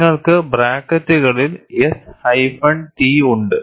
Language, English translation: Malayalam, And you also have within brackets, S hyphen T